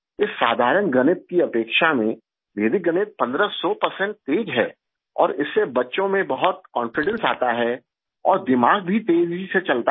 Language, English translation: Hindi, Vedic maths is fifteen hundred percent faster than this simple maths and it gives a lot of confidence in the children and the mind also runs faster